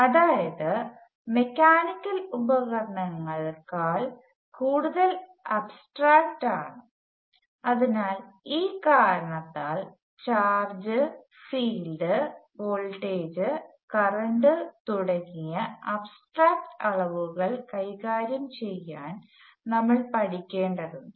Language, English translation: Malayalam, So there necessarily more abstract than mechanical gadgets; so for that reason, we have to learn to deal with abstract quantities such as charge and field and voltage and current and so on